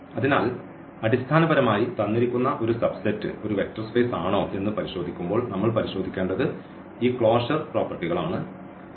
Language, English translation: Malayalam, So, basically when we check whether a given subset is a vector space or not what we have to check we have to check these closure properties